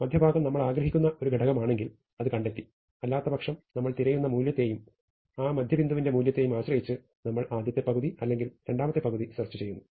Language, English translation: Malayalam, If the midpoint is the value that we want we found it; otherwise, we depending on the value we are looking for and what the value is at the midpoint, we search either the bottom half or the top half